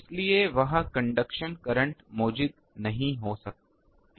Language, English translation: Hindi, So, conduction current cannot be present there